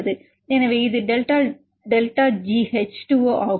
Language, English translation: Tamil, So, it is delta delta G H2O